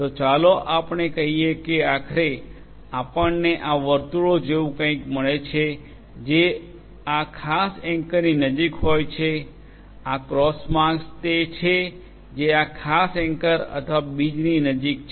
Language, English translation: Gujarati, So, let us say that finally, we get something like these circles are the ones which are closer to this particular anchor whereas, these cross marks are the ones which is closer to this particular anchor or the seed